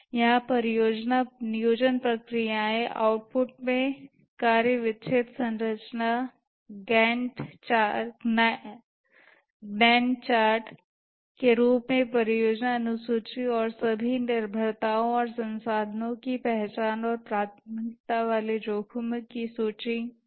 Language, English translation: Hindi, The project planning processes here the output include work breakdown structure, the project schedule in the form of Gantchard and identification of all dependencies and resources and a list of prioritized risks